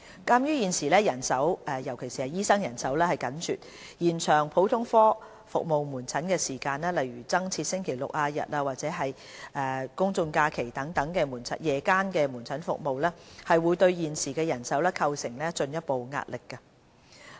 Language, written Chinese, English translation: Cantonese, 鑒於現時人手，尤其是醫生人手緊絀，延長普通科門診服務時間，例如增設星期六、日及公眾假期夜間門診服務，會對現時人手構成進一步壓力。, Given the current manpower constraint particularly the serious shortage of doctors extension of service hours such as the provision of additional evening GOP services on Saturdays Sundays and public holidays will create further pressure on the existing staffing